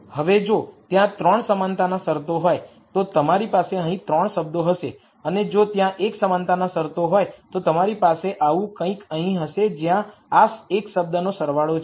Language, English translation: Gujarati, Now, if there are 3 equality constraints, then you would have 3 terms here and if there are l equality constraints you will have something like this here where this is sum of l terms